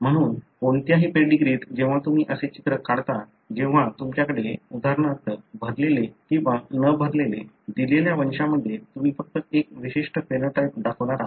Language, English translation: Marathi, So, in any pedigree when you draw like this, when you have for example, the filled one or unfilled one, in a given pedigree you are going to show only one particular phenotype